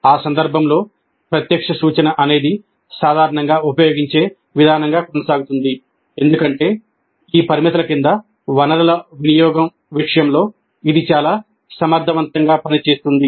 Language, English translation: Telugu, In that context, direct instruction continues to be the most commonly used approach because it is quite efficient in terms of resource utilization under these given constraints